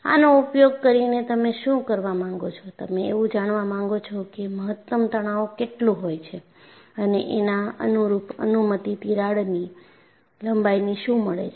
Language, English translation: Gujarati, So, using this, what you want to do is, you want to find out what is the maximum stress that you can go, and what is the corresponding permissible crack length